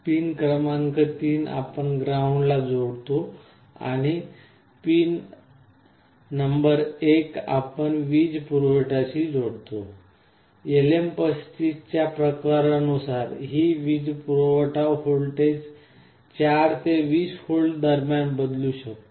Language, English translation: Marathi, Pin number 3 you connect to ground and pin number 1 you can connect a positive power supply; depending on the type number of LM35 this power supply voltage can vary between 4 and 20 volts